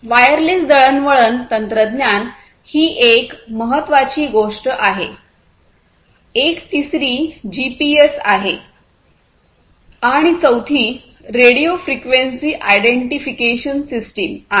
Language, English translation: Marathi, So, wireless communication technology is very important second thing a third one is the GPS which I think all of us know and the fourth one is the radio frequency identification system